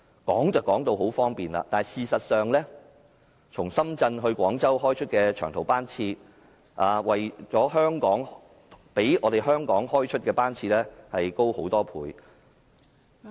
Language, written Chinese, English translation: Cantonese, 說得很方便，但事實上，從深圳到廣州開出的長途班次，較香港開出的班次多很多倍......, This sounds very convenient but in fact there are way more long - haul trains departing from Shenzhen and Guangzhou than from Hong Kong